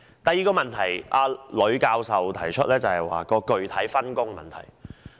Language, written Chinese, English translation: Cantonese, 第二，呂教授提出具體分工的問題。, Second Prof LUI raises concern about specific work division